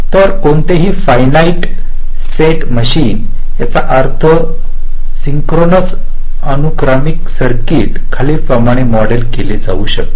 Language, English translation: Marathi, so any finite set machine that means ah synchronous sequential circuit can be modeled as follows